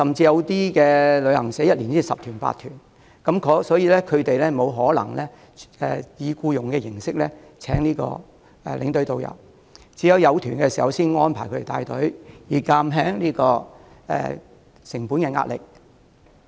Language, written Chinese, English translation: Cantonese, 由於小型旅行社每年只有十數團，團量不多，不可能以僱傭形式聘請領隊及導遊，所以只會在有需要時才安排兼職領隊及導遊帶團，以減輕成本壓力。, As these small travel agents only organize a handful of tours probably 10 - odd tours per year they cannot afford to engage tour escorts and tourist guides under an employer - employee relationship but can only hire part - timers when necessary to reduce cost pressure